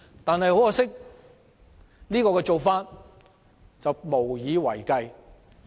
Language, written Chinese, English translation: Cantonese, 但很可惜，這種做法無以為繼。, But regrettably the story ends there